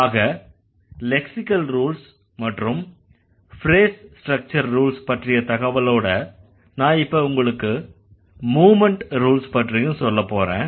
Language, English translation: Tamil, So, with this information about the lexical rules and then the phrase structure rules, now I will talk about the movement rules